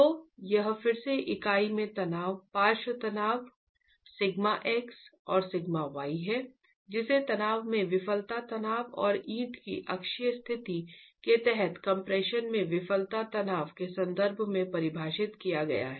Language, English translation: Hindi, So, this is again the lateral stresses sigma x or sigma y in the unit defined in terms of the failure stress in tension and the failure stress in compression under uniaxial conditions of the brick itself